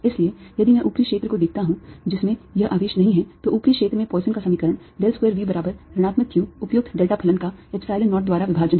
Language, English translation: Hindi, therefore, if i look in the in the upper region, which excludes [C28], this [C29]charge, then poisson's equation in the upper region is: del square v is equal to minus q, appropriate delta function over epsilon zero